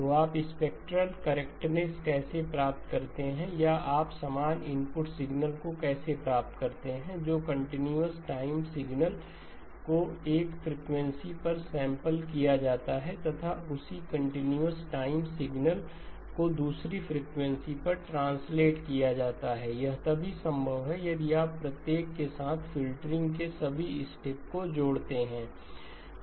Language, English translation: Hindi, So how do you get the spectral correctness or how do you get the same input signal continuous time signal sampled at one frequency translated in to the same continuous time signal at a different frequency, that is possible if you associate the filtering with each of those steps